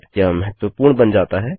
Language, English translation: Hindi, That becomes significant